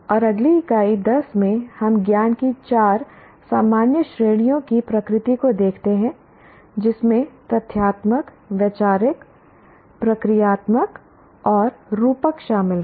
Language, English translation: Hindi, And in the next unit 10, we look at now the nature of four general categories of knowledge including factual, conceptual, procedure and metacognitive